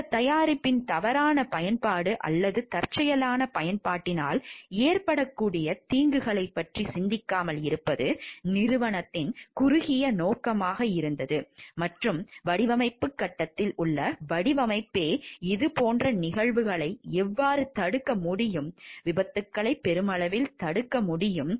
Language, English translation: Tamil, Whether it was a short sightedness of the company to not to think of the possible harms that could be there from the maybe misuse or accidental use of this product, and how the design itself at the design stage can arrest for these type of happenings so that accidents can be prevented at large